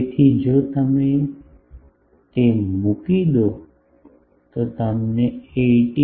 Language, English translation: Gujarati, So, if you put that you get 18